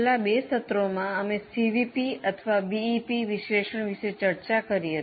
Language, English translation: Gujarati, In our last two sessions, we were discussing about CVP or BEP analysis